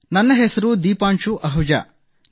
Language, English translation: Kannada, My name is Deepanshu Ahuja